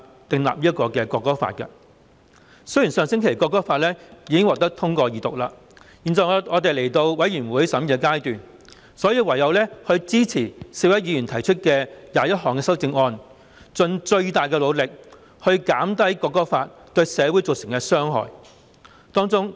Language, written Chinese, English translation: Cantonese, 《條例草案》的二讀議案已在上星期獲得通過，現時已進入全體委員會審議階段，我們唯有支持4位議員提出的21項修正案，盡最大努力減低《條例草案》對社會造成的傷害。, The Second Reading of the Bill was passed last week and we are now in the Committee stage . We have no alternative but to support the 21 amendments proposed by four Members making the last ditch effort to minimize the harm done by the Bill to society